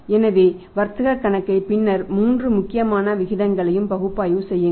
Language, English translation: Tamil, So, make analysis of the trading account and then the three important ratios